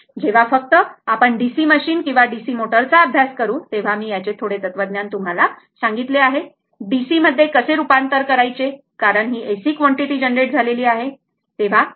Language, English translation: Marathi, So, only when you will study DC machine or DC motor little bit at that I told you similar philosophy I tell you how it is converted to DC because is a AC quantity is generated right